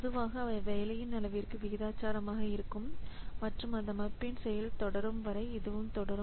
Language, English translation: Tamil, So, normally they are proportional to the volume of the work and they continue as long as the system is in operation